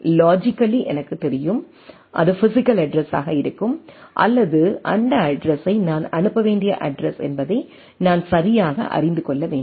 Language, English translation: Tamil, I know that logically I know that that thing which will be the physical address or which address I need to send those things need to be I need to know right